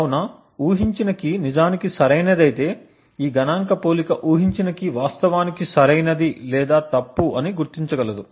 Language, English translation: Telugu, So, if the guessed key is indeed correct this statistical comparison would be able to identity if the guessed key is indeed correct or the key is wrong